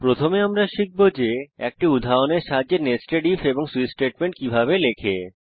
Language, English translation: Bengali, First we will learn, how to write nested if and switch statement with an example